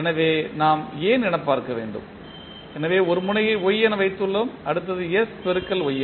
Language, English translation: Tamil, So, we will see y so we have put 1 node as Y then next is s into Ys so we have put sY and so on